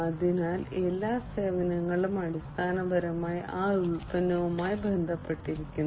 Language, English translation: Malayalam, So, every service is basically linked to that product